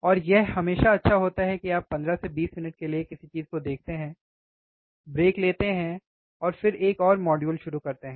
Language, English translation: Hindi, And there it is always good that you look at something for 15 to 20 minutes take a break, and then start another module